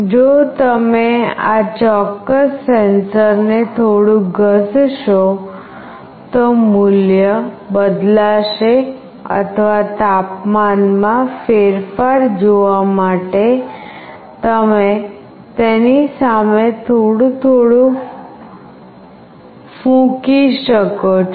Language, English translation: Gujarati, If you rub this particular sensor a bit, the value changes or you can just blow a little bit in front of it to see the change in temperature